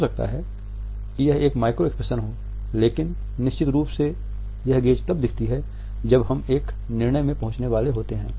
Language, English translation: Hindi, It may be a micro expression, but definitely this gaze is often there just before one is about to reach a decision